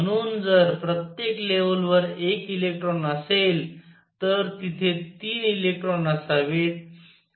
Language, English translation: Marathi, So, if each level has one electron there should be 3 electrons